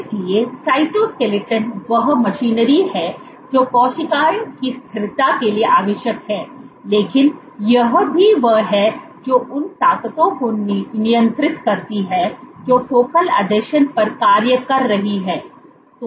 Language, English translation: Hindi, So, the cytoskeleton is the machinery which is required for cells stability, but also this is the one which regulates the forces which are acting at focal adhesions